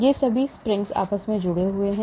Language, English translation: Hindi, they are all connected by springs